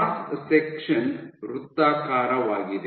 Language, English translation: Kannada, So, the cross section is circular